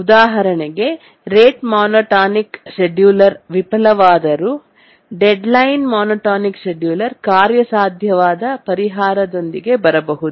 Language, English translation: Kannada, For example, even when the rate monotonic scheduler fails, the deadline monotonic scheduler may come up with a feasible solution